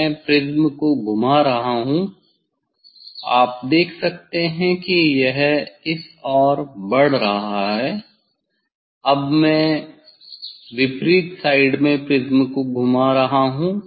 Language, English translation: Hindi, I am rotating the prism; I am rotating the prism; you can see this it is moving towards this other side now I am rotating the prism in opposite side